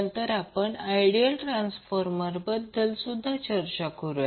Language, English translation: Marathi, And then also we will discuss about the ideal transformer